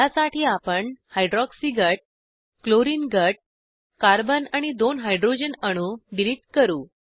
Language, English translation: Marathi, For this, we will delete the hydroxy group, the chlorine group, the carbon and two hydrogen atoms